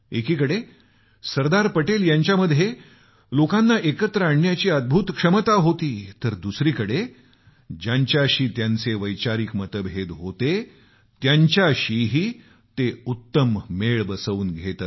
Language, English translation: Marathi, On the one hand Sardar Patel, possessed the rare quality of uniting people; on the other, he was able to strike a balance with people who were not in ideological agreement with him